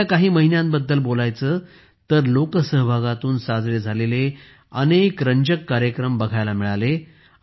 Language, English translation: Marathi, If we talk about just the first few months, we got to see many interesting programs related to public participation